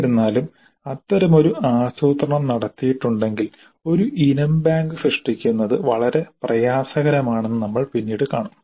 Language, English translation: Malayalam, However, if such a planning is done, then we'll see later that creating an item bank becomes very difficult